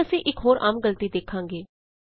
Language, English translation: Punjabi, Now we will see another common error